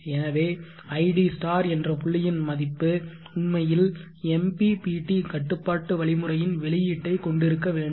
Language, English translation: Tamil, So therefore, id* set point should actually have the output of the MPPT control algorithm